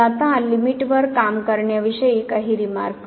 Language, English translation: Marathi, So, now few remarks on working with the limits